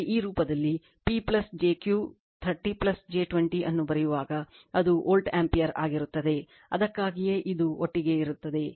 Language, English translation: Kannada, But, when you write in this form P plus jQ 30 plus j 20, it will be volt ampere that is why this together